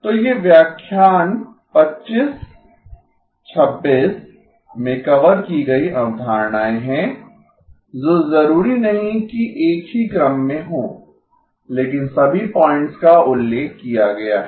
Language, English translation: Hindi, So these are concepts covered in lectures 25, 26 not necessarily in the same order but all the points are mentioned